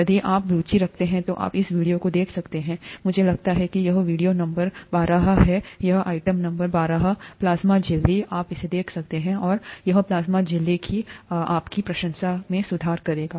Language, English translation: Hindi, If you are interested, you could see this video, by clicking I think it is video number twelve, the item number twelve here, plasma membrane, you could see this, and that will improve your appreciation of the plasma membrane